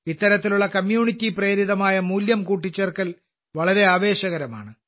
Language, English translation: Malayalam, This type of Community Driven Value addition is very exciting